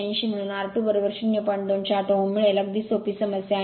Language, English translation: Marathi, 208 ohm very simple problem very simple problem